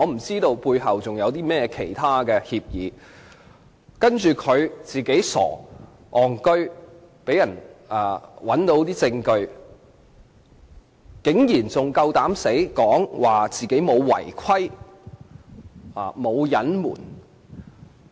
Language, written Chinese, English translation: Cantonese, 在事件中，他自己傻、"戇居"，被人找到私通梁振英的證據，卻還膽敢說自己沒有違規或隱瞞。, In this incident the evidence of his secret communication with LEUNG Chun - ying was uncovered because of his own stupidity and daftness and yet he had the nerve to say that he had not breached the rules or concealed anything